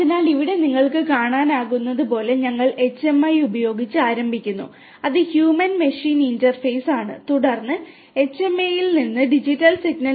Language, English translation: Malayalam, So, here we have as you can see we start with the HMI which is the Human Machine Interface